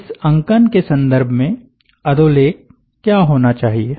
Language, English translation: Hindi, in terms of this notation, what should be the subscript one